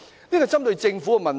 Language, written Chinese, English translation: Cantonese, 這是關乎政府的問題。, This has something to do with individual government